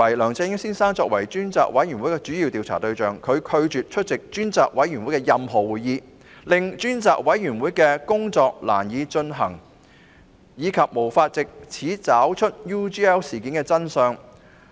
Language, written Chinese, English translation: Cantonese, 梁振英先生作為專責委員會的主要調查對象，卻拒絕出席所有專責委員會會議，令調查工作難以進行，因而無法查找 UGL 事件的真相。, As the main subject of the investigation by the Select Committee Mr LEUNG Chun - ying refused to attend all Select Committee meetings making it difficult for the investigation to proceed and thus identify the truth of the UGL incident